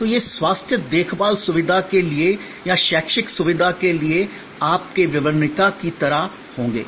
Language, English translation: Hindi, So, these will be like your brochure for a health care facility or for an educational facility